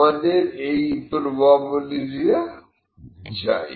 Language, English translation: Bengali, I need this probability